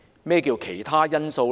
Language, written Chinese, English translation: Cantonese, 何謂"其他因素"呢？, What do miscellaneous factors represent?